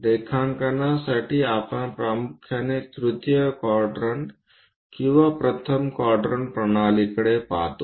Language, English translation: Marathi, For drawing, we mainly look at either third quadrant or first quadrant systems